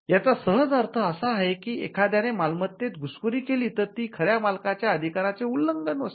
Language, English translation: Marathi, It simply means that, if somebody intrudes into the property that is a violation of that person’s right